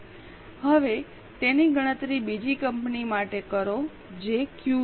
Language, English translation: Gujarati, Now calculate it for the other company which is Q